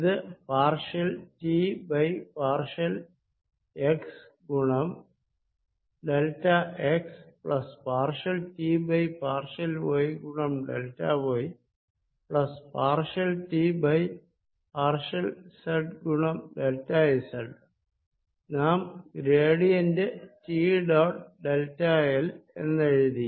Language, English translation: Malayalam, this is given as partial derivative of t with respect to x, delta x plus partial t over partial y, delta y plus partial t over partial z, delta z, which we denoted as gradient of t, dot delta l